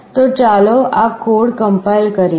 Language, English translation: Gujarati, So, let us compile this code